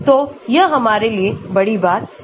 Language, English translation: Hindi, So, it is not a big deal for us